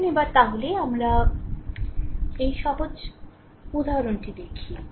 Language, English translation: Bengali, So, next take this simple example